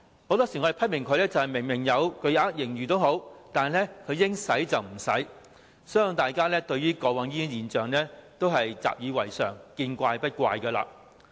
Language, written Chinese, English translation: Cantonese, 很多時候，我們批評政府即使有巨額盈餘，但應花不花，相信大家過往對於這現象已習已為常，見怪不怪。, We have criticized on many occasions that even though the Government hoards a huge surplus it does not spend money where it is due . I believe that in the past we already got used to this phenomenon and did not find it surprising